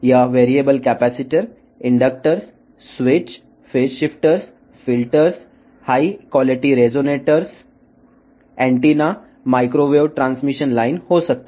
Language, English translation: Telugu, It could be variable capacitors, inductors, switches, phase shifters, filters, high quality resonators, antennas, microwave transmission lines